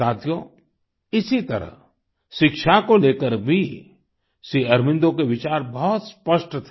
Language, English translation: Hindi, likewise, Shri Aurobindo's views on education were very lucid